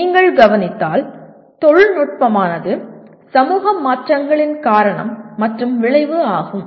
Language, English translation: Tamil, If you note, technology is both cause and effect of societal changes